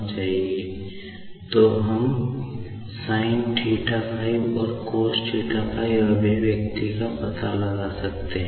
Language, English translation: Hindi, And, then we can also find out another expression sinθ5 and cosθ5